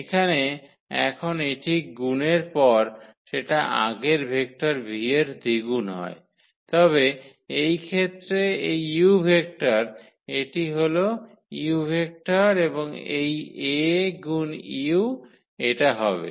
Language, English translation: Bengali, So, here now it is just the double of this earlier vector v after the multiplication, but in this case of this u vector this was the vector u and this A times u has become this one